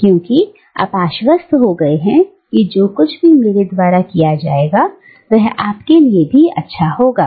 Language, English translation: Hindi, Because, you have become convinced that whatever serves me, is also good for you